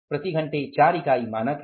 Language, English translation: Hindi, Per hour is 4 units